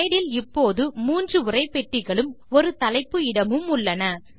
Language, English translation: Tamil, The slide now has three text boxes and a title area